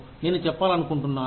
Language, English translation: Telugu, What do you want to learn